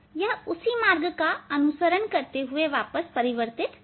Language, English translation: Hindi, it will reflected back following the same path